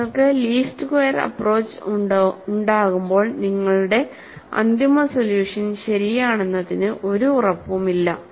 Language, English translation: Malayalam, And when you are having a least squares approach there is no guarantee that your final solution is correct